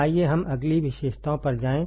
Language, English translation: Hindi, Let us go to the next characteristics next characteristics